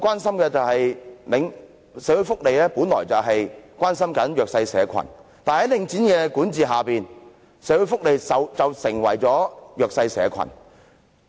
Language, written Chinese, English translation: Cantonese, 社會福利界本來是要關心弱勢社群的，但在領展管理下，社會福利界便成為弱勢社群。, The social welfare sector is tasked to take care of the disadvantaged but thanks to the management of Link REIT it becomes the disadvantaged